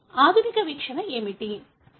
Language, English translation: Telugu, So what is the modern view